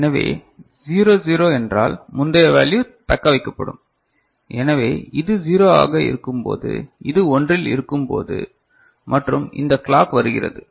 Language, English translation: Tamil, So, 0 0 means previous value will be retained is it fine, so that when this is 0 this is remaining at 1 and this clock is coming